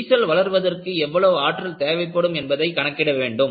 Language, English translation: Tamil, From, then on, we will find out, what is energy for require for the crack to grow